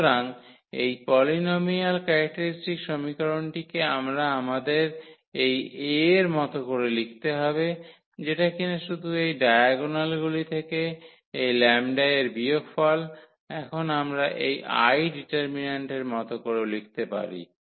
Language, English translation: Bengali, So, the characteristic polynomial characteristic equation we have to write corresponding to this A which will be just by subtracting this lambda from the diagonal entries and now we can write down in terms of this I mean this determinant here